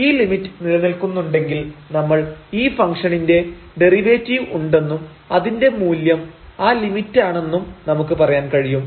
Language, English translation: Malayalam, So, if this limit exists we call the function has the derivative and its value is exactly that limit